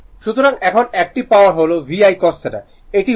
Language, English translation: Bengali, So now active power we have seen now that VI cos theta it is watt